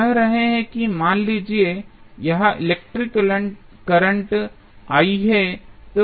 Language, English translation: Hindi, So, we are saying that suppose this current is I